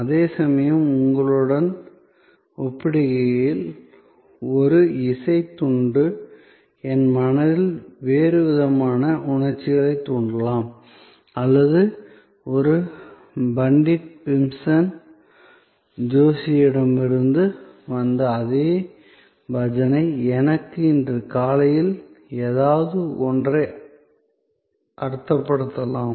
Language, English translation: Tamil, Whereas, a piece of music may evoke a different set of emotion in my mind compare to yours or even to me that same bhajan from Pandit Bhimsen Joshi may mean something this morning